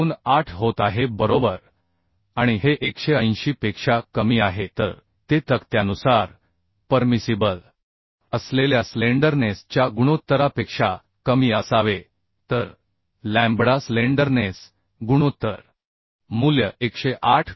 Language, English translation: Marathi, 28 right and this is less than 180 so it is okay as per table 3 it should be less than the permissible slenderness ratio So lambda value the slenderness ratio value we can find as 108